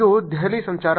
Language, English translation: Kannada, This is Delhi traffic